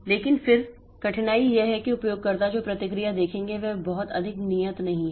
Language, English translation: Hindi, But then the difficulty is that the response that the user will see is not very much deterministic